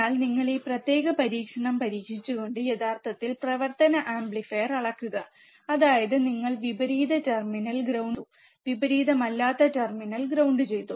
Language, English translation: Malayalam, But when you actually measure the operational amplifier by testing this particular experiment, that is you keep inverting terminal ground, non inverting terminal ground